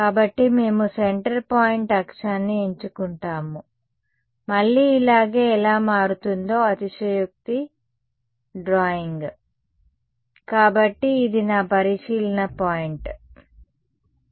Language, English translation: Telugu, So, we will choose the centre point axis so, what becomes like this again exaggerated drawing ok, so this is my observation point ok